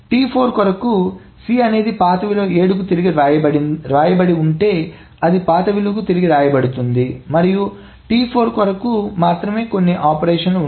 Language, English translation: Telugu, So for T4, the operation is the C is written back to the old value, which is 7, is written back to the old value